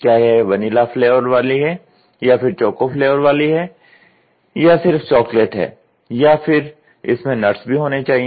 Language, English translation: Hindi, Should it be in vanilla flavour, should it be in coco flavour, should it be only should it be a mixed with nuts